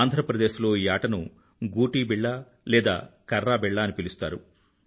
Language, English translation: Telugu, In Andhra Pradesh it is called Gotibilla or Karrabilla